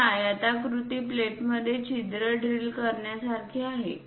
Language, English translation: Marathi, It is more like drilling a hole through rectangular plate